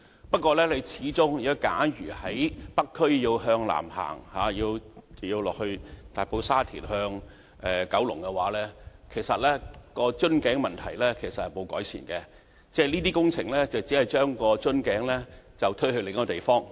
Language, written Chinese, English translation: Cantonese, 不過，假如我們在北區向南行往大埔、沙田或九龍方向，我們會看到瓶頸問題其實沒有得到改善，這些工程只不過將瓶頸推往另一個地方。, Nevertheless should we go south in the North District towards Tai Po Sha Tin or Kowloon we will see that the problems caused by the bottleneck have not been ameliorated actually . These works will only push the bottleneck to somewhere else